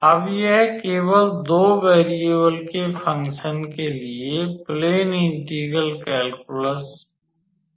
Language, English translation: Hindi, Now, this is just our plane integral calculus for the function of two variables